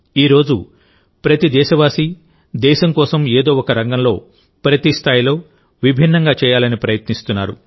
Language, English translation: Telugu, Today every countryman is trying to do something different for the country in one field or the other, at every level